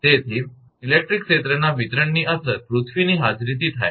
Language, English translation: Gujarati, Therefore, the electric field distribution is affected by the presence of the earth